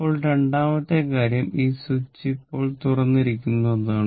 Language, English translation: Malayalam, Now second thing is that this switch actually this switch is now opened right if switch is opened